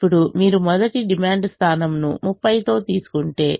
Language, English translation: Telugu, now, if you take the first demand point with thirty